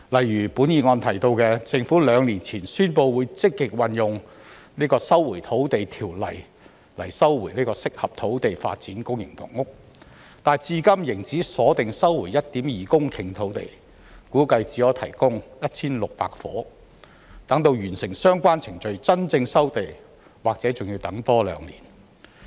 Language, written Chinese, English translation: Cantonese, 議案提到政府兩年前宣布會積極引用《收回土地條例》收回合適土地發展公營房屋，但至今仍只鎖定收回 1.2 公頃土地，估計只可提供 1,600 伙，待完成相關程序真正收地，或許仍要多等兩年。, The motion mentioned that the Government announced two years ago that it would proactively invoke the Land Resumption Ordinance to resume suitable land for public rental housing PRH development but so far it has only identified 1.2 hectares of land to be resumed which is estimated to provide only 1 600 units . Since land resumption will actually take effect upon completion of the relevant procedures there may be a wait of two more years